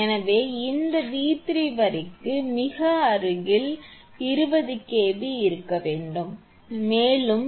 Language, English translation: Tamil, So, this V 3 must be 20 kV nearest to the line is 20 kV